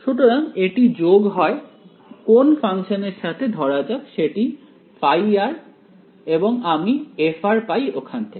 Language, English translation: Bengali, So, it adds on let us say some function let us call that phi of r and I get f of r out of it ok